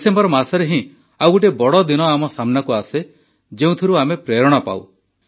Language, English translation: Odia, In the month of December, another big day is ahead of us from which we take inspiration